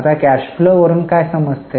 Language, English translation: Marathi, Now what do you understand by cash flow